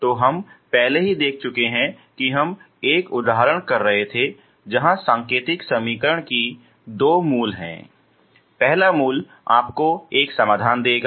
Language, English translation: Hindi, So we have already seen we were doing one example where the indicial equation has two roots, first root will give you one solution